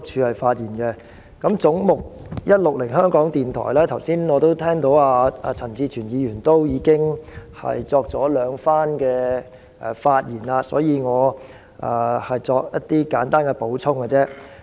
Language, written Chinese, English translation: Cantonese, 有關"總目 160― 香港電台"，我剛才聽到陳志全議員已就此發言兩次，所以我只會作簡單的補充。, Regarding Head 160―Radio Television Hong Kong I have heard Mr CHAN Chi - chuen speak on this twice so I will just add some points briefly